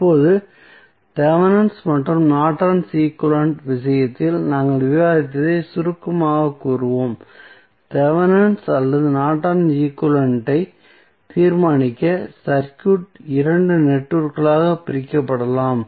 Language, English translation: Tamil, So, now, let us summarize what we discussed in case of Thevenin's and Norton's equivalent to determine the Thevenin's or Norton's equivalent the circuit can divided into 2 networks